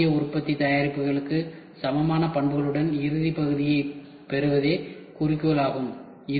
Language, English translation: Tamil, The goal is to obtain final part with properties equal to the traditional manufacturing products